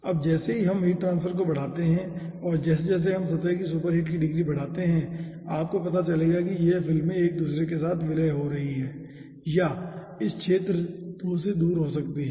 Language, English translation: Hindi, now, soon, ah, as we increase the heat transfer and as we increase the degree of superheat surface, then you will be finding out this films are being merged with each other, or you, it can be starting from this region